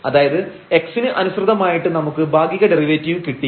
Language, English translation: Malayalam, So, we have the existence of the partial derivative with respect to x